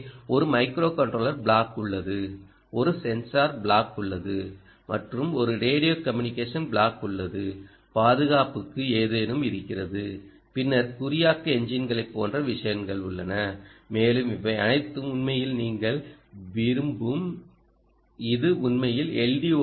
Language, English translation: Tamil, so there is a microcontroller block, there is a sensor block, right, ah, and there is a radio communication block, there is something for security, ok, then ah, things like, you know, encryption engines and so on